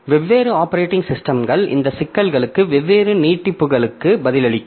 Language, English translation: Tamil, So, so different operating systems will answer these issues to different extent